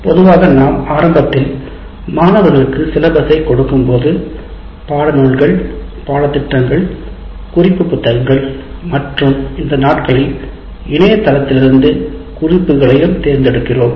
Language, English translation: Tamil, Generally right in the beginning when we give the syllabus to the students, we identify text books, reference books, and these days we also refer to the internet sources